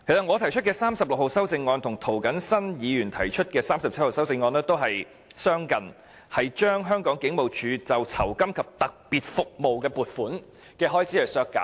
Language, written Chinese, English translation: Cantonese, 我提出編號36的修正案，與涂謹申議員的修正案編號37相近，均是削減香港警務處酬金及特別服務的預算開支。, 36 is similar to Amendment No . 37 proposed by Mr James TO . Both seek to reduce the estimated expenditures on rewards and special services of HKPF